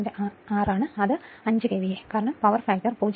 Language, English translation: Malayalam, 6 that is 5 KVA right because power factor is 0